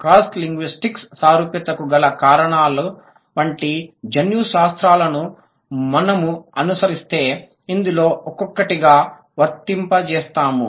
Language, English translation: Telugu, If we follow the genetics, like the reasons of cross linguistic similarity will apply one by one